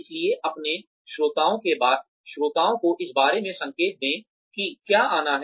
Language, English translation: Hindi, So, give your listeners signals about, what is to come